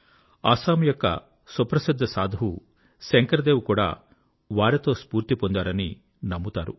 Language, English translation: Telugu, It is said that the revered Assamese saint Shankar Dev too was inspired by him